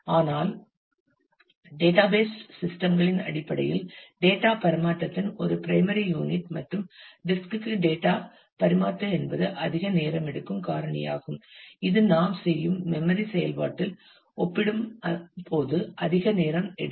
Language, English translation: Tamil, But in terms of database systems block is a basic unit of data transfer and the data transfer to and from the disk is the most time taking factor much takes much larger time compare to any in memory operation that we do